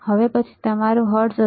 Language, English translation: Gujarati, Now, next one would be your hertz